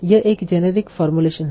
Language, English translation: Hindi, Now this is a generic formulation